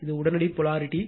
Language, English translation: Tamil, It is instantaneous polarity